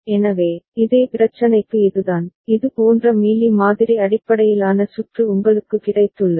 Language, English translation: Tamil, So, this is the for the same problem, you have got a Mealy model based circuit like this